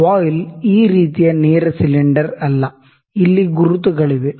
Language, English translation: Kannada, Now, the voile is not a straight cylinder like this, there markings here